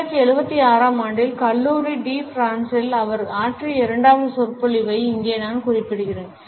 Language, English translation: Tamil, Here, I would refer to his second lecture which he had delivered in College de France in 1976